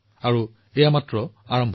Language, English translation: Assamese, And this is just the beginning